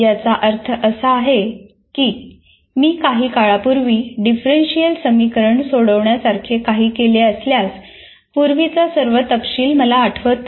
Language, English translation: Marathi, That means, if I have done something solved a differential equation quite some time ago, I may not remember all the details